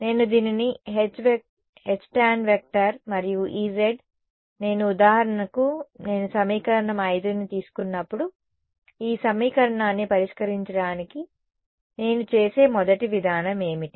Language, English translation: Telugu, I can as well replace this as H tan and E z how many when I when I solved the when I for example, take equation 5 what will be the first approach that I will do to solve this equation